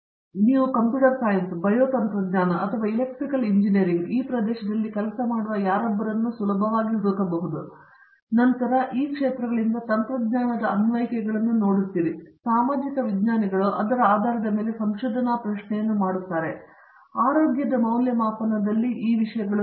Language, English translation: Kannada, You can easily find someone working in this area in Computer science, Bio technology or Electrical engineering where you see their applications of technology from these areas and then social scientist's do make a research question based on that, whatÕs the impact of these things in assessment of health